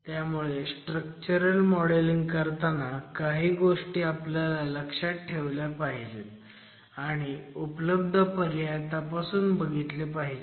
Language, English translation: Marathi, So, when it comes to structural modeling and analysis, there are certain things that we need to keep in mind and also examine what possibilities we have